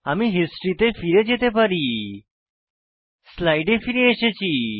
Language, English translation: Bengali, I can go back to the history I have returned to the slide